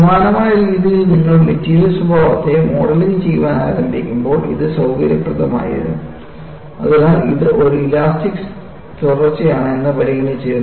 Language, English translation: Malayalam, On the similar vein, when you have started modeling the material behavior, it was convenient, purely out of convenience, you consider that, it is an elastic continuum